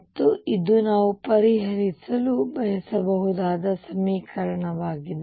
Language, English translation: Kannada, And this is the equation we want to solve